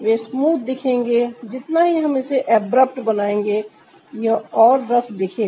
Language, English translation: Hindi, the more we'll make it abrupt, it'll look more rough